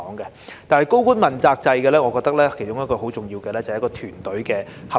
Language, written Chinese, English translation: Cantonese, 但是，在高官問責制方面，我認為其中一項很重要的是團隊合作。, However in the accountability system for principal officials I think one of the very important elements is teamwork